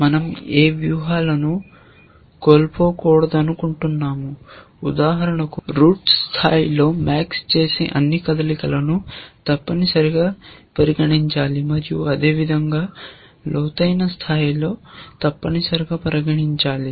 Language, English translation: Telugu, We want to not miss out on any strategies so, for example, at the root level, we must consider all possible moves that max makes, and likewise at deeper levels essentially